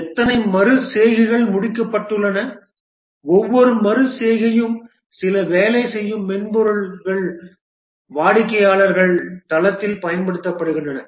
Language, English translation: Tamil, How many iterations have been completed and each iteration some working software is deployed at the customer site